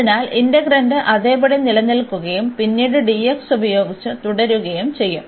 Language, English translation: Malayalam, So, the integrand will remain as it is and then later on with dx